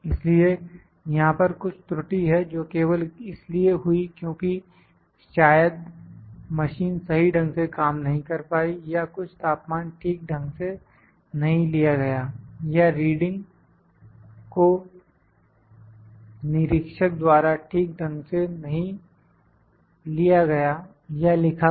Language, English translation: Hindi, So, there is some error that has happened just because the machine might have not, might not have worked properly or some temperatures not taken properly or reading is not taken by the observer properly or noted properly